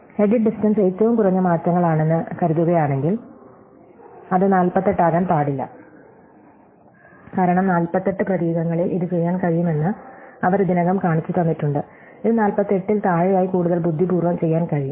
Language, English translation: Malayalam, If the edit distance is suppose be the minimum number of changes, it cannot be more then 48, because they already shown that it is possible to do in 48 characters, possible to do it in more clever way less than 48